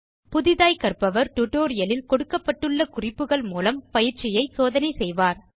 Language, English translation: Tamil, Novice tests the tutorial following the instruction given in the tutorial